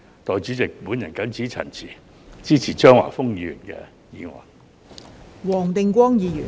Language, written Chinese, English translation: Cantonese, 代理主席，我謹此陳辭，支持張華峰議員的議案。, With these remarks Deputy President I support Mr Christopher CHEUNGs motion